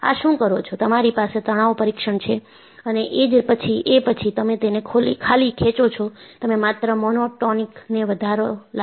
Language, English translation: Gujarati, You have a tension test and then, you simply pull it, you are only applying a monotonic increase